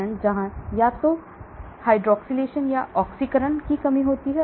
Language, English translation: Hindi, stage 1 where either hydroxylation or oxidation reduction takes place